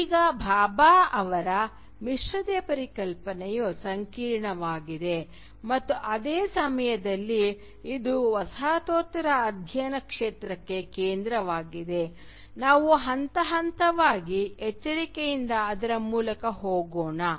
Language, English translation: Kannada, Now since Bhabha’s concept of hybridity is complex and at the same time it is central to the field of postcolonial studies, let us go through it carefully step by step